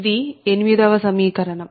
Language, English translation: Telugu, this is equation eight